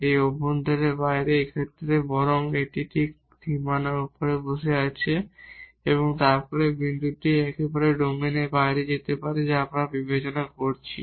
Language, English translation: Bengali, This is outside the interior or in this case rather it is sitting exactly on the boundary, this point may be absolutely outside the domain which we are considering